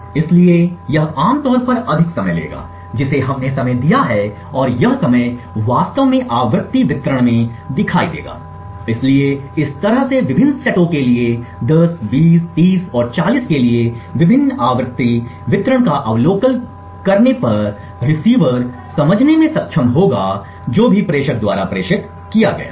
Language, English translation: Hindi, So, this would typically take longer which we have timed and this timing would actually show up in the frequency distribution, so in this way observing the various frequency distribution for the various sets 10, 20, 30 and 40 the receiver would be able to decipher whatever has been transmitted by the sender